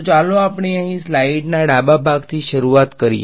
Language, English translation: Gujarati, So, let us start with the left part of the slide over here